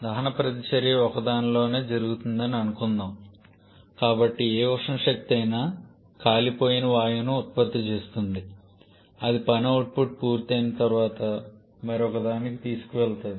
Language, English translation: Telugu, Like suppose the combustion reaction takes place inside one so whatever thermal energy is generated the burnt gaseous that is taken to another one where the work output is done